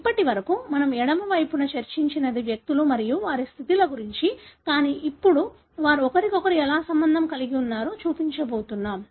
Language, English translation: Telugu, So far what we have discussed on the left side is individuals and their status, but now we are going to show how they are related to each other